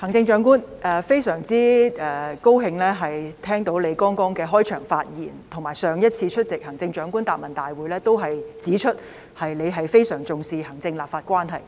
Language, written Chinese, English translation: Cantonese, 我非常高興聽到行政長官剛才的開場發言，而且她上次出席行政長官答問會時亦已指出她非常重視行政立法關係。, I am very glad to have listened to the Chief Executives opening remarks just now . Moreover when attending the last Chief Executives Question and Answer Session she already pointed out that she attached great importance to the relationship between the executive and the legislature